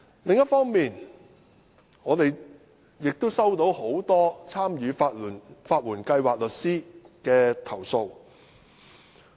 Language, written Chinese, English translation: Cantonese, 另一方面，我們收到很多參與法援計劃的律師的投訴。, On the other hand we have received complaints from many lawyers participating in the legal aid scheme